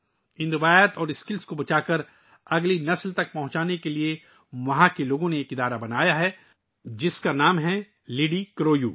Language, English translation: Urdu, In order to save these traditions and skills and pass them on to the next generation, the people there have formed an organization, that's name is 'LidiCroU'